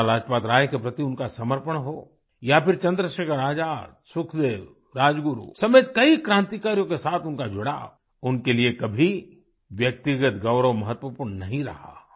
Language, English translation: Hindi, Be it his devotion towards Lala Lajpat Rai or his camaraderie with fellow revolutionaries as ChandraShekhar Azad, Sukhdev, Rajguru amongst others, personal accolades were of no importance to him